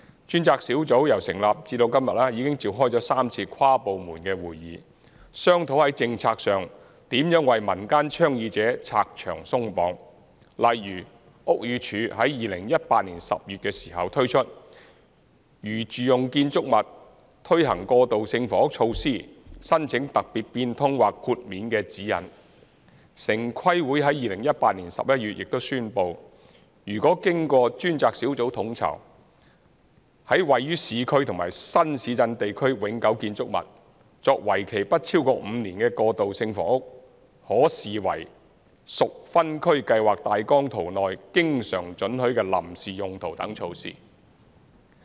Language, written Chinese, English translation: Cantonese, 專責小組由成立至今，已召開了3次跨部門會議，商討在政策上如何為民間倡議者拆牆鬆綁，例如屋宇署在2018年10月時推出的《在住用建築物推行過渡性房屋措施申請特別變通或豁免的指引》，城市規劃委員會在2018年11月亦宣布，如經專責小組統籌、在位於市區及新市鎮地區永久建築物，作為期不超過5年的過渡性房屋，可視為屬分區計劃大綱圖內經常准許的臨時用途等措施。, Since establishment the task force has conducted three interdepartmental meetings to explore ways to overcome obstacles related to the prevailing policies encountered by community proponents . For example the Buildings Department BD promulgated the Guidelines on Applications for Special Modification or Exemption for Transitional Housing Initiatives in Domestic Buildings in October 2018 . The Town Planning Board also announced in November 2018 a measure that such transitional housing projects coordinated by the task force in permanent buildings in the urban and new town areas would be regarded a temporary use always permitted under the relevant Outline Zoning Plan if they are for a period of five years or less